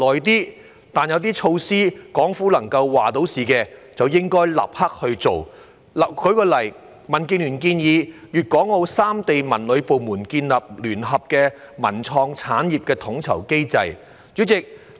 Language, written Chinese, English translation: Cantonese, 然而，有些措施可由港府作主，便應該立刻推行，例如民建聯建議粤港澳三地文旅部門建立聯合的文創產業統籌機制。, However some measures can be decided by the Hong Kong Government alone and should be implemented immediately . For example DAB suggests that the culture and tourism authorities of Guangdong Hong Kong and Macao establish a joint coordination mechanism for the development of the cultural and creative industries